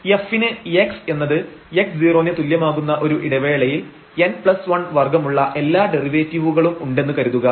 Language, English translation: Malayalam, So, assume that f has all derivatives up to order n plus 1 in some interval containing the point x is equal to x 0